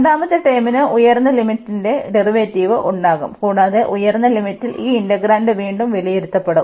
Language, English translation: Malayalam, The second term will have the derivative of the upper limit, and the integrand will be evaluated again at this upper limit